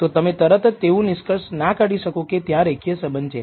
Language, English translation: Gujarati, It does not immediately you cannot conclude there is a linear relationship